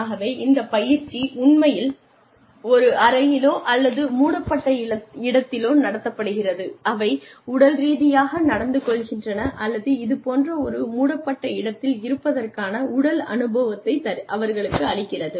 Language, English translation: Tamil, So, they are actually put in a room, or in an enclosed space, that behaves physically, or that gives them the physical experience, of being in a similar enclosed space